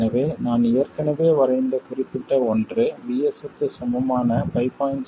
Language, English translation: Tamil, So let's say this particular one which I've already drawn corresponds to VS equals 5